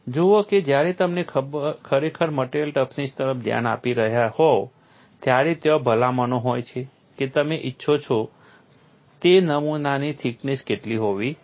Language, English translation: Gujarati, Say when you are really looking at material toughness, there are recommendations what should be the thickness of the specimen that you want